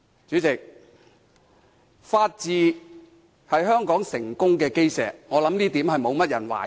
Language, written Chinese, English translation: Cantonese, 主席，法治是香港成功的基石，我相信這點沒有人懷疑。, I must get these off my chest . President the rule of law is the cornerstone of the success of Hong Kong . This I believe no one will question